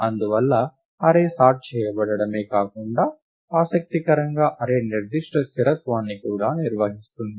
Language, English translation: Telugu, Therefore, not only is the array sorted, but interestingly, the array also maintains a certain stability